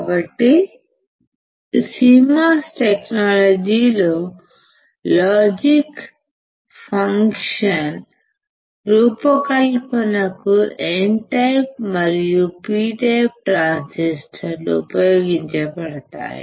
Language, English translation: Telugu, So, in CMOS technology both N type and P type transistors are used to design logic functions